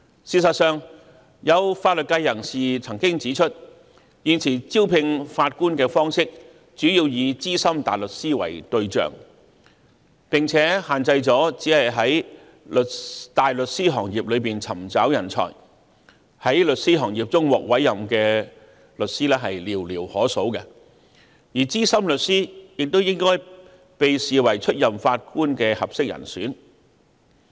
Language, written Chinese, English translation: Cantonese, 事實上，有法律界人士曾經指出，現時招聘法官的方式主要以資深大律師為對象，並只限在大律師行業中尋找人才，在事務律師行業中獲司法委任的律師卻寥寥可數；然而，資深律師亦應獲視為出任法官的合適人選。, In fact some members of the legal profession once pointed out that currently senior counsels are the main targets for recruitment of Judges and the recruitment is confined to the barrister profession . Only a limited number of solicitors are offered with judicial appointments . Nevertheless veteran solicitors should also be regarded as suitable candidates for Judges